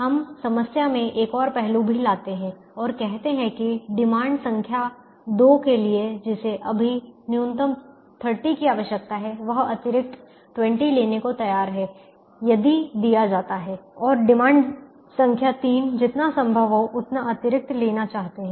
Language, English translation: Hindi, the also bring in another aspect into the problem and say that the demand number two, which right now requires minimum of this thirty, is willing to take an extra twenty is given, and demand number three would like to take as much extra as possible